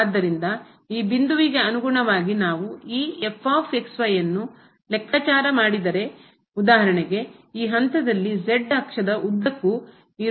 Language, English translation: Kannada, So, corresponding to this point, if we compute this , then for instance this is the point here the height this in along the z axis at this point of this function is